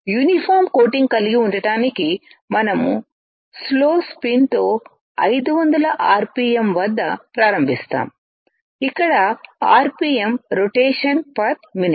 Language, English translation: Telugu, To have a uniform coating we will start with the slow spin of 500 at rpm, where rpm is rotation per minute